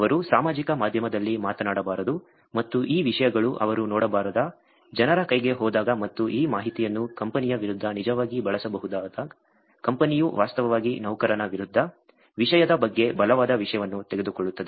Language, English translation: Kannada, They should not be talking about on social media and when these contents goes in hands of people whom they should not be looking and this information can actually be used against the company, the company actually takes very a strong thing around thing against the employee itself